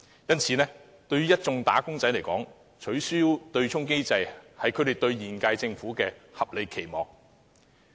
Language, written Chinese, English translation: Cantonese, 因此，對一眾"打工仔"來說，取消對沖機制是他們對現屆政府的合理期望。, Hence insofar as the wage earners are concerned it is a reasonable expectation of theirs on the current - term Government to facilitate abolition of the offsetting mechanism